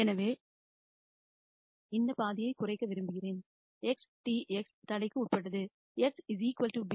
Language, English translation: Tamil, So, I want to minimize this half; x transpose x subject to the constraint A x equal to b